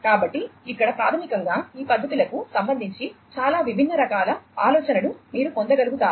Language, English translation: Telugu, So, here basically you would be able to get a lot more different types of ideas in with respect to these methods